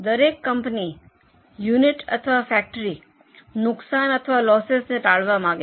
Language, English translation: Gujarati, Every company or every unit or every factory wants to avoid losses